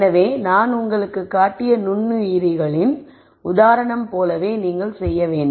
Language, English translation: Tamil, So, what you have to do is much like the microorganism example that I showed you